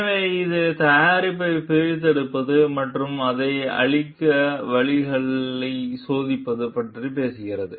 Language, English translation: Tamil, So, it talks of disassembling the product and testing ways to destroy it